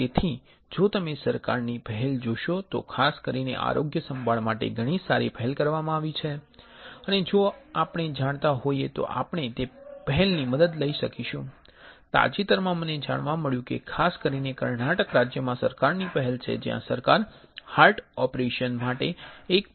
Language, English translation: Gujarati, So, if you see the government initiatives there are very good initiatives for healthcare in particular and if we are aware we can take help of those initiatives including I recently came to know that particularly in Karnataka state there is Government initiative where the Government will give about 1